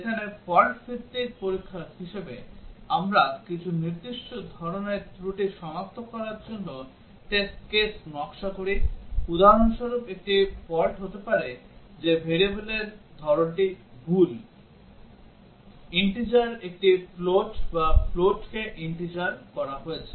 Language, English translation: Bengali, Whereas in as fault based testing, we design test cases to detect some specific type of faults, for example, a fault may be that the type of the variable is wrong, int has been made into a float or float into int